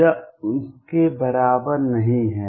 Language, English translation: Hindi, This is not equal to that